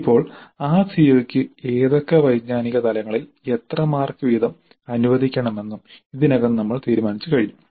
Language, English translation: Malayalam, Now we already have decided how many marks to be allocated to that COO at what cognitive levels